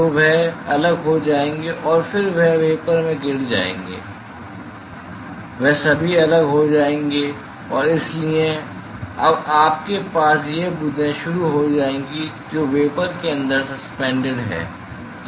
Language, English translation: Hindi, So, they will detach and then they will drop into the vapor; they will all detach and so, now, you will start having these drops which are suspended inside the vapor